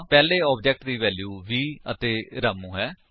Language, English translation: Punjabi, The first object has the values 20 and Ramu